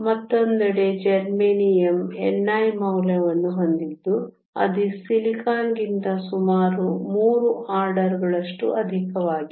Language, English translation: Kannada, Germanium, on the other hand has a value of n i that is nearly 3 orders of magnitude higher than silicon